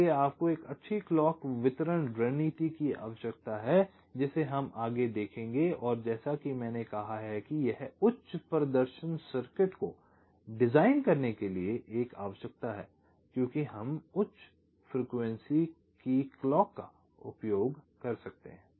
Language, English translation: Hindi, so you need a good clock distribution strategy, which we shall be looking at next, and, as i have said, this is a requirement for designing high performance circuit, because we can use clocks of higher frequencies